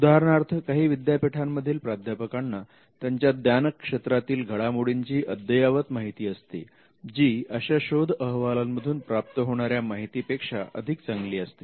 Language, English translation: Marathi, For instance, some university professors may have cutting edge knowledge about their field which would be much better than what you would normally get by doing a search report